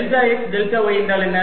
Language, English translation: Tamil, this is x, y plus delta y, x, y